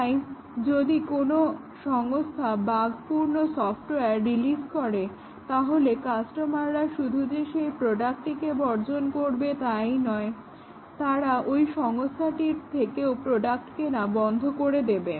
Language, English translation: Bengali, So, if an organization releases software full of bugs and not only the customers will reject that product, but also they will not buy products from that organization